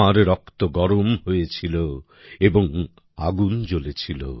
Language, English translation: Bengali, Your blood ignited and fire sprang up